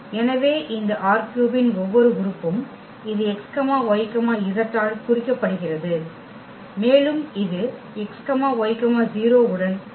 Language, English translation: Tamil, So, here every element of this R 3 which is denoted by this x y z and it maps to this x, y and the z becomes 0